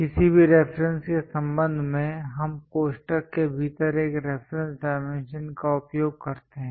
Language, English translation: Hindi, With respect to any reference we use a reference dimensions within parenthesis